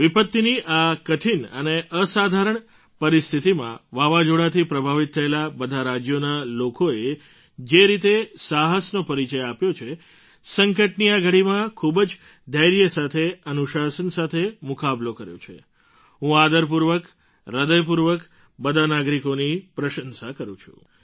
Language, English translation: Gujarati, Under these trying and extraordinary calamitous circumstances, people of all these cyclone affected States have displayed courage…they've faced this moment of crisis with immense patience and discipline